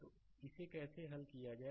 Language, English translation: Hindi, Right, how to solve it